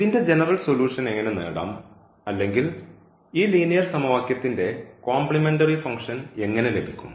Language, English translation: Malayalam, So, how to get the general solution, how to get the complementary function of this a linear equation